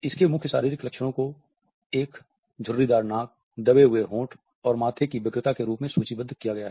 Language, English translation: Hindi, Main physical features are listed as a wrinkled nose, pressed lips and frowning of the forehead